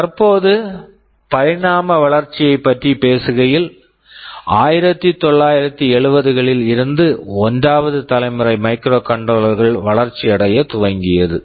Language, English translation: Tamil, Now, talking about evolution, since the 1970’s the 1st generation of microcontroller started to evolve